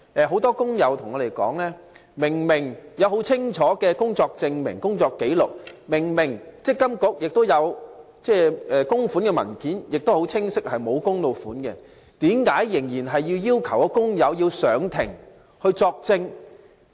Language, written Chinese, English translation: Cantonese, 很多工友向我們查詢，即使已提交具體工作證明及工作紀錄，而積金局亦已收妥足以證明僱主沒有供款的文件，為何工友仍須出庭作證？, We have received enquiries from many workers who questioned why workers were still required to appear in court as witnesses even after they had submitted concrete employment proof and employment record and MPFA had received sufficient documents to substantiate employers default on MPF contributions